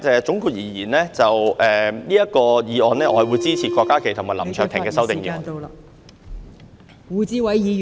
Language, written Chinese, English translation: Cantonese, 總結而言，就這項議案，我會支持郭家麒議員及林卓廷議員的修正案。, In conclusion regarding this motion I will support the amendments moved by Dr KWOK Ka - ki and Mr LAM Cheuk - ting